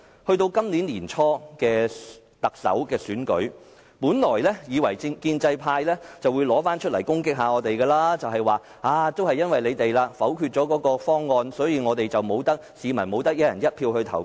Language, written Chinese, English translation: Cantonese, 到了今年年初的特首選舉，本來以為建制派會以此來攻擊我們，說因為你們否決了方案，所以市民不能"一人一票"投票。, During the Chief Executive Election early this year we anticipated that the pro - establishment camp would attack us with our own decision of vetoing the reform package thus rendering the public unable to vote under a one person one vote system